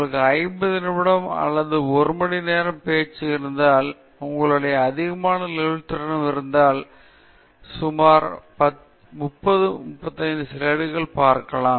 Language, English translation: Tamil, If you have a 50 minute or one hour talk, you can, you have much greater of flexibility, you can look at 30, 35 slides